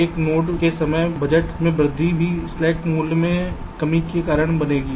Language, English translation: Hindi, ok, so increase in the time budget of a node will also cause a decrease in the slack value